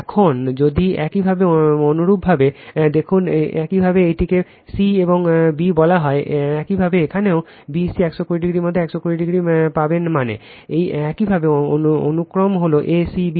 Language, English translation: Bengali, Now, if you look in to your, what you call this c and b, you will get 120 degree here also between b c 120 degree that means, your sequence is a c b right